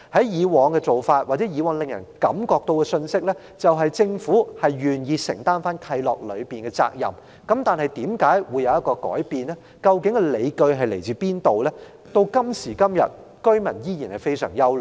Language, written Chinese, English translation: Cantonese, 以往的做法或所發放的信息，就是政府願意承擔契諾的責任，但為何會有當前的改變，而理據為何，居民到今時今日依然感到憂慮。, The practices or messages delivered in the past presented the view that the Government was prepared to assume the obligations in the covenants . If so what are the reasons and justifications for the change presently? . The residents are still worried about these today